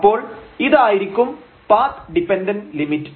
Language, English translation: Malayalam, So, this will be the path dependent limit